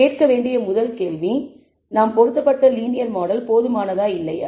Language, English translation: Tamil, The first question to ask is whether the linear model that we have fitted is adequate or not, Is good or not